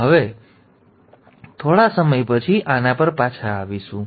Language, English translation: Gujarati, So we will come back to this a little from now